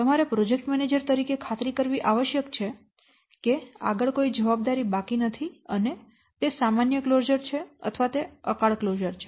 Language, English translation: Gujarati, You must, as a project manager, you must ensure that there is no further obligations pending whether it is a normal closure or it is a premature termination